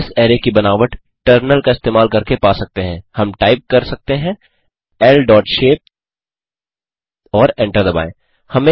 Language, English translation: Hindi, We can get the shape of this array using in the terminal we can type L dot shape and hit Enter